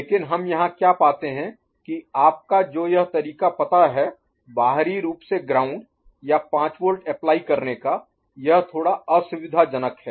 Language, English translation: Hindi, But what we find here that this way of you know, applying external you know, this ground or 5 volt this is a bit inconvenient